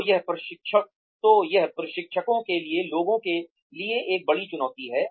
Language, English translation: Hindi, So, that is a big challenge for people, for the trainers